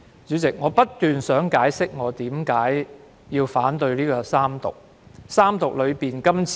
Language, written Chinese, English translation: Cantonese, 主席，我一直希望解釋我為何反對三讀《條例草案》。, President I have been meaning to explain why I oppose the Third Reading of the Bill